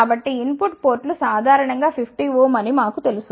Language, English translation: Telugu, So, we know that the input ports are generally 50 ohm